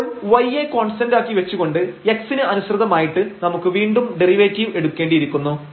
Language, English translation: Malayalam, So, we have to take the derivative again with respect to x here treating y is constant